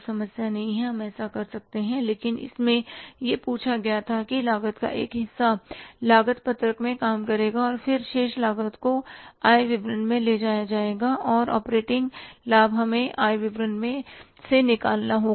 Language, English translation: Hindi, But in this it was asked that part of the cost will be worked out in the cost sheet and then remaining costs will be taken to the income statement and the operating profit will have to work out in the income statement